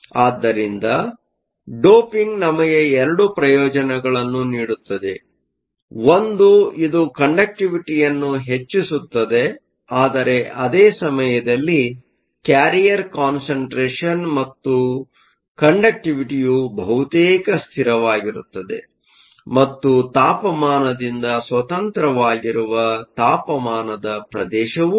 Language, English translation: Kannada, So, doping gives us 2 advantages one is that it increases the conductivity, but at the same time there is also a temperature region where both the carrier concentration and hence the conductivity is almost a constant and is independent of temperature